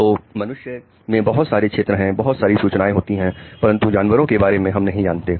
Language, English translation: Hindi, So a lot of areas, a lot of this information in humans, we don't know about animals